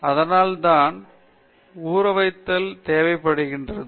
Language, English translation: Tamil, So, it should come, for that for that soaking is required